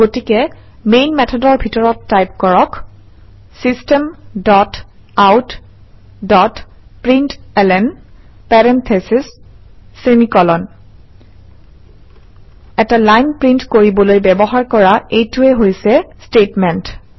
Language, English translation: Assamese, So inside main method typeSystem dot out dot println parentheses semi colon This is the statement used to print a line